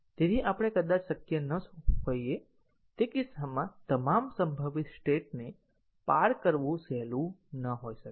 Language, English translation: Gujarati, So, we may not be possible, it may not be easy to traverse all possible states in that case